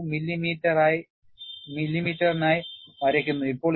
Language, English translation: Malayalam, 2 millimeter; now, it is drawn for 0